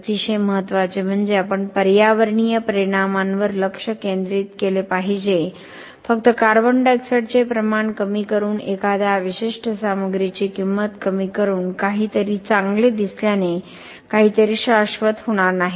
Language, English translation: Marathi, Very importantly we have to focus on the environmental impact just by decreasing the amount of CO2 of just by decreasing the cost of a certain material making something look good is not going to make something sustainable